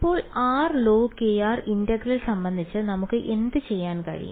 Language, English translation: Malayalam, So, what can we do about integral of r log k r